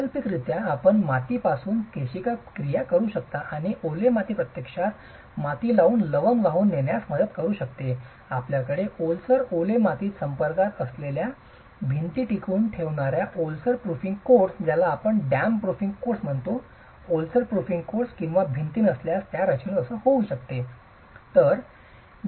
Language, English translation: Marathi, Alternatively, you can have capillary action from the soil and the wet soil can actually help in transporting salts from the soil to the structure if you have deficient dam proofing courses or walls that are retaining walls in contact with wet soils